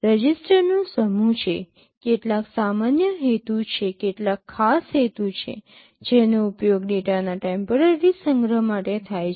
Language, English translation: Gujarati, There are a set of registers, some are general purpose some are special purpose, which are used for temporary storage of data